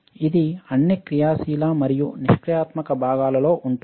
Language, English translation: Telugu, It is present in all active and passive components